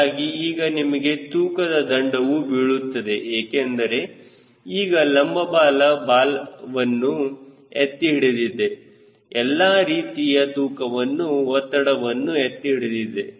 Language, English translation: Kannada, so you are having weight penalty because down the vertical tail which is carrying horizontal tail, all the loads trace and all